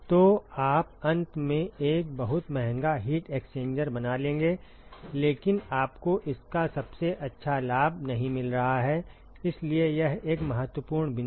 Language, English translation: Hindi, So, you will end up making a very expensive heat exchanger, but you are just not getting the best out of it, so that is an important point